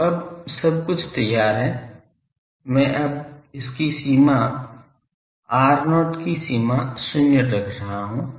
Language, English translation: Hindi, So, everything now is ready I am now putting it limit r 0 tends to zero